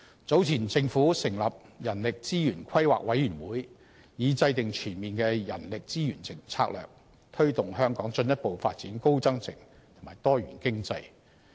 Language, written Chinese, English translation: Cantonese, 早前政府成立人力資源規劃委員會，以制訂全面的人力資源策略，推動香港進一步發展高增值及多元經濟。, The Government has earlier set up the Human Resources Planning Commission in order to formulate coordinated human resources strategies for developing Hong Kong further into a high value - added and more diversified economy